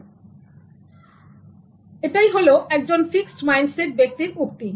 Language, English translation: Bengali, So that is the one with fixed mindset